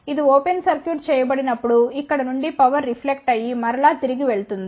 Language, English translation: Telugu, When this is open circuited power will reflect from here and then go back